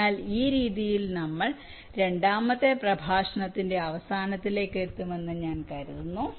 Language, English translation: Malayalam, ok, so i think with this way we come to the end of this second lecture